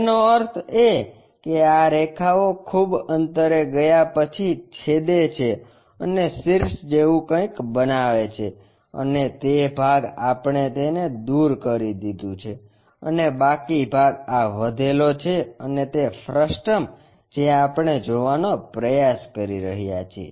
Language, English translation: Gujarati, That means, these lines go intersect far away and makes something like apex and that part we have removed it, and the leftover part is this, and that frustum what we are trying to look at